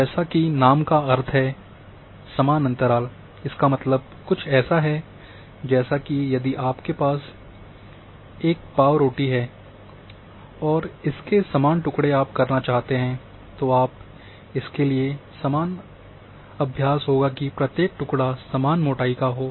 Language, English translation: Hindi, As the name implies that equal interval,means if you are having a loaf of bread and you want to slice down that bread, so general practice is to slice each having equal thickness